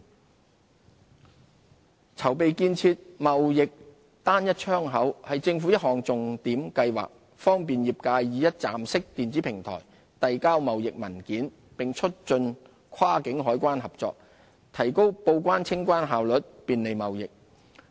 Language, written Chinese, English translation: Cantonese, 貿易單一窗口籌備建設"貿易單一窗口"是政府一項重點計劃，方便業界以一站式電子平台遞交貿易文件，並促進跨境海關合作，提高報關、清關效率，便利貿易。, The establishment of a Trade Single Window is high on the Governments agenda . It will provide a one - stop electronic platform for the lodging of trade documents promote cross - border customs cooperation and expedite trade declaration and customs clearance with a view to facilitating trade